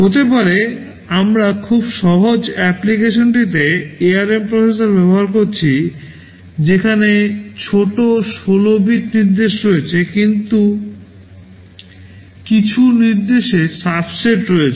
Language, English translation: Bengali, Maybe we are using the ARM processor in a very simple application, where smaller 16 bit instructions are there, some instruction subset